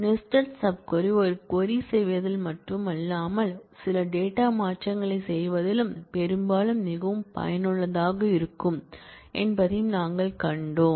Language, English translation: Tamil, And we have also seen how nested sub query often may be very useful not only in terms of performing a query, but also in terms of performing certain data modifications